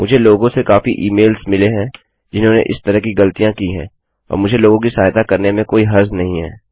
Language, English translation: Hindi, I get a lot of emails from people who have made mistakes like that and I dont mind helping people